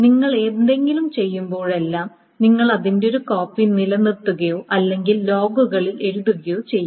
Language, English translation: Malayalam, So this is like saying whenever you do anything, you maintain a copy of that or you write it down in the log